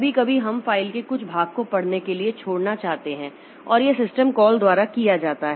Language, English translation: Hindi, Sometimes we may want to skip some part of the file for reading and that is done by this reposition type of system calls